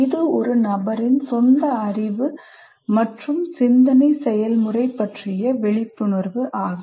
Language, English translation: Tamil, It is also a person's awareness of his or her own level of knowledge and thought processes